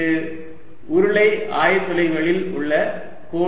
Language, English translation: Tamil, that is a line element in cylindrical coordinates